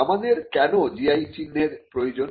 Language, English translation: Bengali, Now, why do we need GI